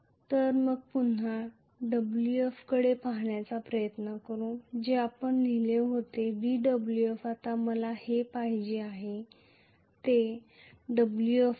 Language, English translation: Marathi, So, let us try to look at again Wf what we wrote was Wf, d Wf now what i want is full Wf so Wf actually should be